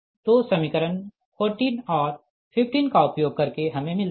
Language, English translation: Hindi, so equation using equation fourteen and fifteen: right, we get